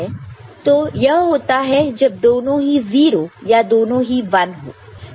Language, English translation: Hindi, So, that is how what happens so, when it is both of them are 0 and when both of them are 1